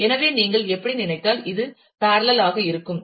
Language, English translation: Tamil, So, you this is in parallel to if you think of how